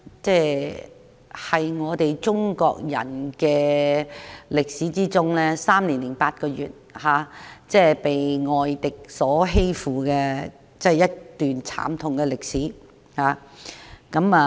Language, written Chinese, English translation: Cantonese, 中國人經歷了3年8個月被外敵欺負的一段慘痛歷史。, The three years and eight months of foreign oppression over Chinese people was a history full of pain and suffering